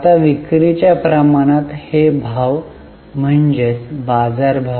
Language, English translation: Marathi, Now, price upon sales ratio, this is referring to market prices